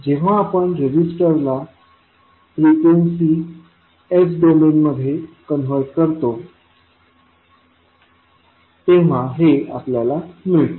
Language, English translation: Marathi, So, this we get when we convert resister into frequency s domain